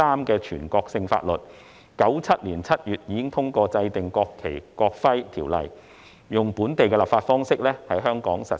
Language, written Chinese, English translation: Cantonese, 1997年7月，通過制定《國旗及國徽條例》，透過本地立法在港實施。, The National Flag Law and the National Emblem Law were applied locally by legislation through the enactment of National Flag and National Emblem Ordinance NFNEO in July 1997